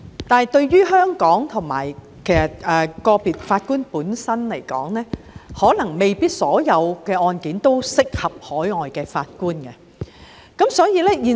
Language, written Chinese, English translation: Cantonese, 但是，對於香港和個別法官而言，可能未必所有案件均適合海外法官參與。, However for Hong Kong and individual judges probably not all trials are suitable for overseas judges to sit on